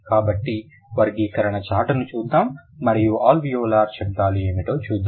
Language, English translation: Telugu, So, let's look at the classification chart and we'll see what are the alveolar sounds